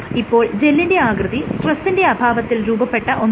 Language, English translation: Malayalam, So, that the gel forms under an unstressed configuration